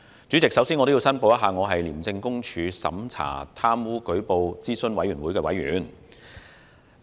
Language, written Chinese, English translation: Cantonese, 主席，我首先要申報我是廉政公署審查貪污舉報諮詢委員會的委員。, President I would first of all like to declare that I am a member of the Operations Review Committee of ICAC